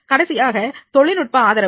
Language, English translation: Tamil, Last is the technological support